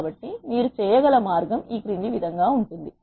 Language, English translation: Telugu, So, the way you can do that is as follows